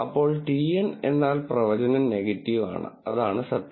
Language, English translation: Malayalam, TN then the prediction is negative that is the truth